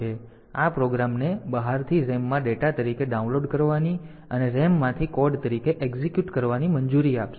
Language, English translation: Gujarati, So, this will allow a program to be downloaded from outside into the RAM as data and executed from RAM as code